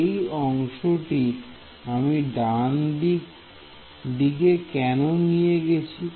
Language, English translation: Bengali, Why did I move this term to the right hand side